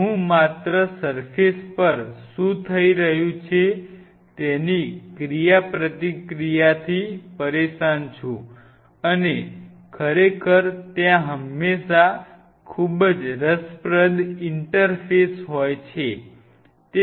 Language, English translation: Gujarati, I am only bothered about just what is happening on the surface the surface reaction and of course, there is always a very interesting interface